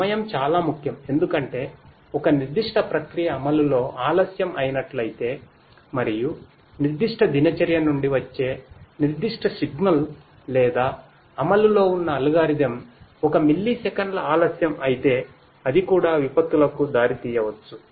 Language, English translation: Telugu, Timing is very important because if you know if the certain if a particular process gets delayed in execution and that particular signal coming from that particular routine or that algorithm under execution gets delayed by even a millisecond that might also lead to disasters